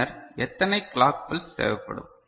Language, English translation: Tamil, Then how many clock pulses will be required